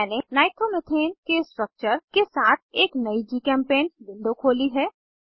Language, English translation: Hindi, I have opened a new GChemPaint window with structures of Nitromethane